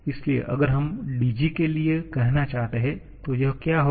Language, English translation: Hindi, So, if we want to write say for dg what it will be